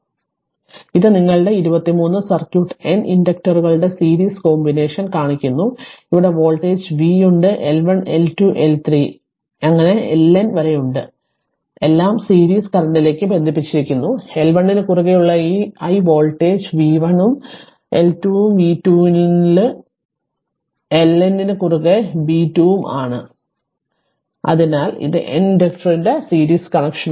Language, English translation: Malayalam, So, this is a simple circuit that your 23 shows series combination of N inductors, where voltage v is there L 1 L 2 L 3 all are up to L N all are connected in series current flowing to this i voltage across L 1 is v 1 and L 2 is b 2 like this across L N in v N right, so this is series connection of N inductor